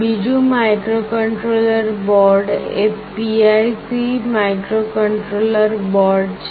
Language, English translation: Gujarati, Another microcontroller board is PIC microcontroller board